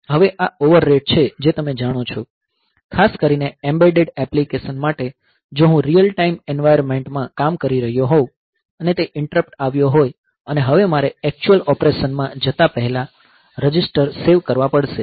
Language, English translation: Gujarati, Now, this is the over rate you know that if it if a particularly for embedded application if I am working in a real time environment and that interrupt has occurred and now I have to save the registers before going into the actual operation